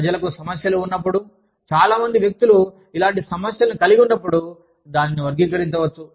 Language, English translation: Telugu, When people have problems, when number of people have similar problems, that can be categorized